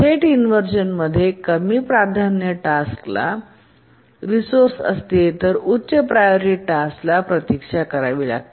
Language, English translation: Marathi, Let me repeat again that in a direct inversion, a lower priority task is holding a resource, the higher priority task has to wait